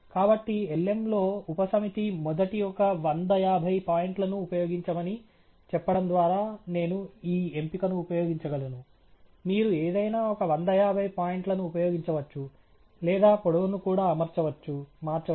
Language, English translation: Telugu, So, in lm, I can exercise this option by saying subset use a first one fifty points; you can use any one fifty points or even change the length and so on